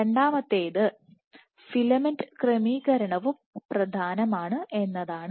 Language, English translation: Malayalam, The second one is filament orientation also matters